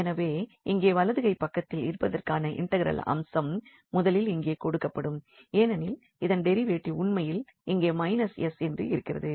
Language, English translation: Tamil, So, that is the integral of sitting here right hand side the first readily will give here because the derivative of this is sitting here with minus sign indeed so minus s